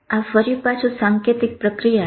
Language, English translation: Gujarati, This is symbolic processing again